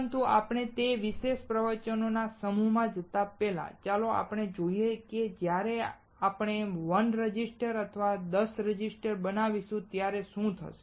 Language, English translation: Gujarati, But before we go to those particular set of lectures, let us understand, what will happen when we fabricate 1 resistor or 10 resistors